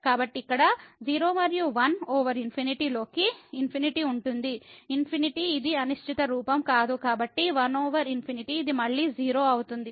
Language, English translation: Telugu, So, 0 here and 1 over infinity into infinity will be infinity it is not an indeterminate form so, 1 over infinity this is 0 again